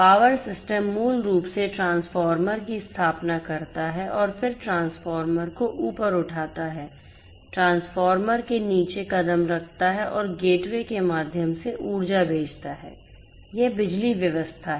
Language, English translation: Hindi, Power system basically setting up of the transformer then stepping sorry stepping up of the transformer, stepping down of the transformer and sending the data sorry sending the energy through the gateway this is this power system